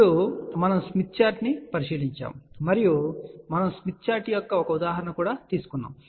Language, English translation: Telugu, Then, we had looked into the Smith Chart and we took an example of the Smith Chart also